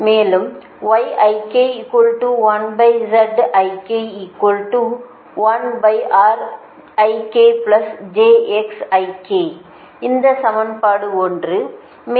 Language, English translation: Tamil, this is equation one, right